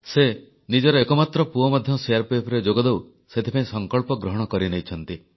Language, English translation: Odia, She has vowed to send her only son to join the CRPF